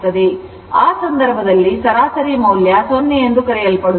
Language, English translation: Kannada, So, in that case you are what you call the average value will be 0